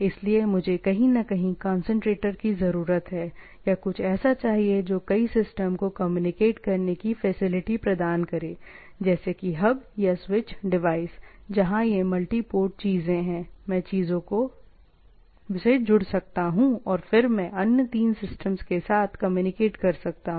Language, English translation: Hindi, So, I require a somewhere, concentrator, right or somewhat we say in our terms, a concept of hub or switch in between, where it has a multi port things, I can connect to the things and then I communicate with the other three systems, can communicate